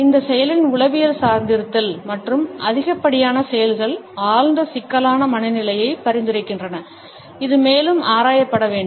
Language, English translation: Tamil, A psychological dependence and overdoing of this action suggest a deep problematic state of mind which should be further investigated into